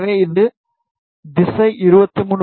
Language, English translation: Tamil, So, this is rout is 23